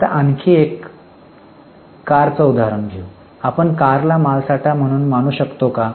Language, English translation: Marathi, For example, cars, can you treat cars as an inventory